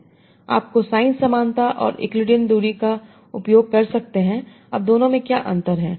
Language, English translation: Hindi, So you can use cosine similarity and euclidean distance